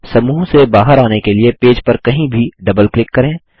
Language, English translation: Hindi, To exit the group, double click anywhere on the page